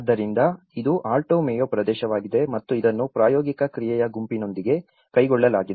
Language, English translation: Kannada, So, this is the Alto Mayo region and this has been carried out with the practical action group